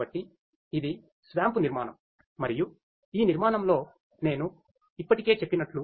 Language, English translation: Telugu, So, this is the SWAMP architecture and in this architecture as I mentioned already